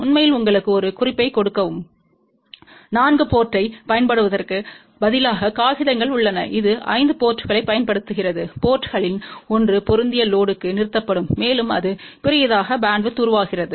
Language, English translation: Tamil, In fact, just to give you a little bit of a hint also, instead of using a 4 port there are papers which use 5 ports one of the port is terminated in to match load, and that gives rise to larger bandwidth